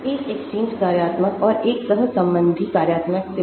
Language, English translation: Hindi, Composed of an exchange functional and a correlational functional